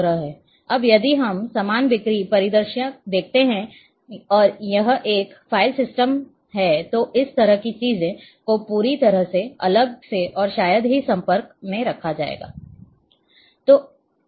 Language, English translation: Hindi, Now if we look a same sales sales scenario and it is file system then this is how things are kept completely separately and hardly there are linkages